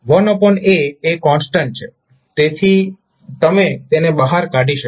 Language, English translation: Gujarati, 1 by a is anyway constant, so you can take it out